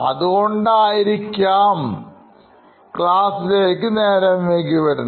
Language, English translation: Malayalam, He was a regular at coming late to class